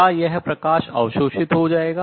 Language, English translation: Hindi, And therefore, light will get absorbed